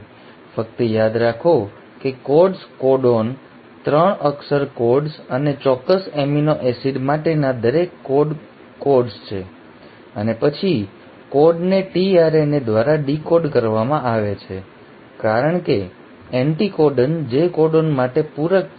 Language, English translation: Gujarati, Just remember that the codes are the codons, the 3 letter codes and each code codes for a specific amino acid, and then the code is decoded by the tRNA because of the anticodon which is complementary to the codon